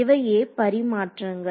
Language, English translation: Tamil, So, those are the tradeoffs